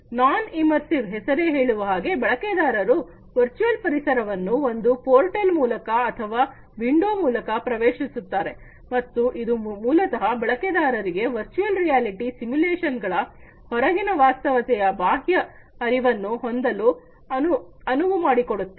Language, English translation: Kannada, Non immersive, as these name suggests, the user enters into the virtual environment through a portal or, window and this basically allows the users to have a peripheral awareness of the reality outside the virtual reality simulations